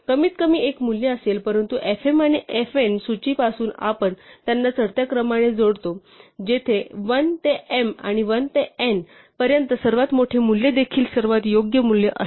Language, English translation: Marathi, There will be at least one value, but since we add them in ascending order since the list fm and fn, where constructed from 1 to m and 1 to n the largest value will also be the right most value